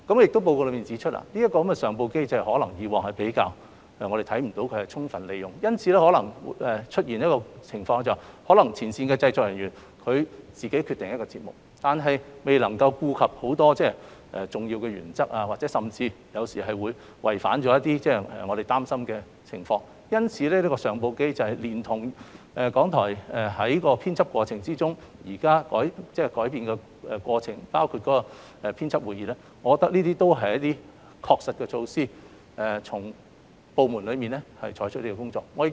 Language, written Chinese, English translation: Cantonese, 《檢討報告》亦指出，過往可能未能看到相關上報機制獲得充分利用，因而出現前線製作人員自行作出決定，但未能顧及眾多重要原則，甚或偶然違反某些要求，引來公眾疑慮的情況。因此，我認為善用相關上報機制，連同港台現時在編輯過程中作出的改善，包括舉行編輯會議，是能夠確切讓部門妥善處理相關工作的措施。, It is also pointed out in the Review Report that as efforts might have not been made previously to make the best use of such referral mechanisms some frontline production staff have made editorial decisions on their own without paying heed to the many important principles or even occasionally breached the requirements prescribed thus arousing concern from the public